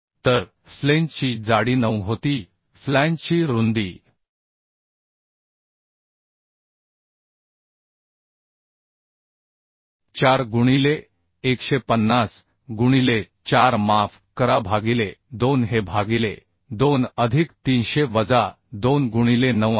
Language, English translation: Marathi, 4 into width of flange was 150 by 4 sorry by 2 this is by 2 plus 300 minus 2 into 9